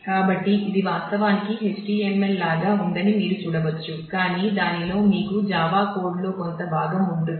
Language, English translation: Telugu, So, you can see that this actually looks like HTML, but inside that you have a, you have some part of a Java code